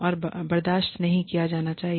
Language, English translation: Hindi, And, should not be tolerated